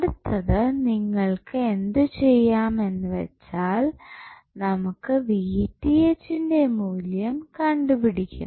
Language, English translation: Malayalam, So, next what we have to do we have to find out the value of Vth